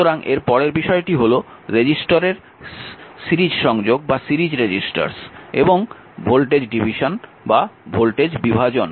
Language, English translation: Bengali, Next is that your series resistors and voltage division